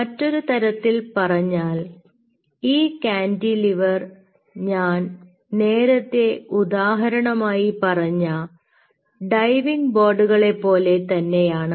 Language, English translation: Malayalam, in other word, these cantilever is just like i give you the example of that diving board